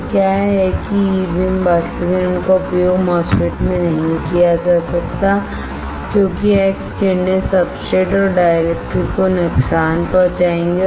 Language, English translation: Hindi, So, what is that E beam evaporators cannot be used in MOSFET because x rays will damage the substrates and dielectric